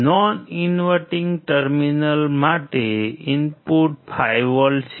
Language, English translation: Gujarati, The input to the non inverting terminal is 5V